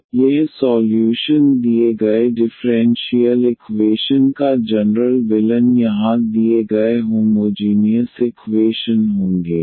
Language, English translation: Hindi, So, this will be the solution will be the general solution of the given differential equation a given homogeneous equation here